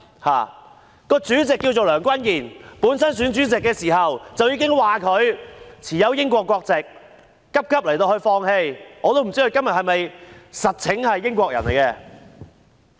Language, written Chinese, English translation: Cantonese, 它的主席名為梁君彥，他在選主席時，已經有人指他擁有英國國籍，他最後急急放棄，但我也不知道他現時其實是否英國人。, The name of its Chairman is Andrew LEUNG and some people pointed out that he had British nationality when he was running for the position of the President . In the end he gave it up hastily but I do not know if he is actually still British or not